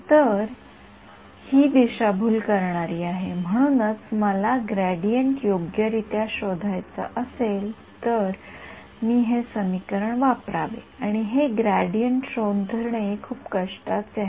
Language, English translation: Marathi, So, this is misleading; so, if I wanted to correctly find out the gradient, I should use this equation and finding this gradient is a lot of hard work ok